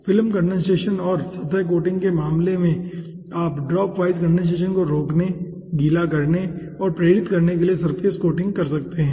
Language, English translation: Hindi, in case of film condensation and surface coating, you can apply, okay, to inhibit to wetting and stimulate the dropwise condensation